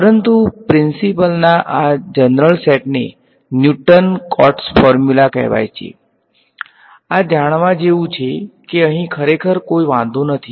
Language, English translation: Gujarati, But, these general set of principles they are called Newton Cotes formula ok, this is something to know does not really matter over here